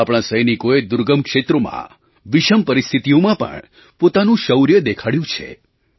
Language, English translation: Gujarati, Our soldiers have displayed great valour in difficult areas and adverse conditions